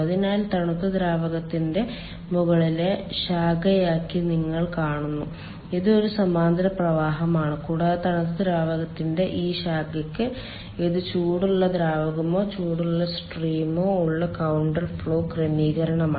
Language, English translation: Malayalam, so you see, for the top branch of the cold fluid, ah, it is a parallel flow and for this branch of the cold fluid it is counter flow arrangement with the hot fluid or hot stream